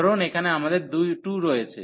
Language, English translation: Bengali, So, this is replaced by 2